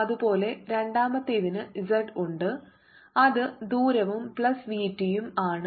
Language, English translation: Malayalam, similarly, the second one has z, which is distance plus v t